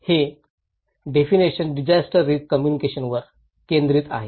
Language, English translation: Marathi, This lecture is focusing on disaster risk communications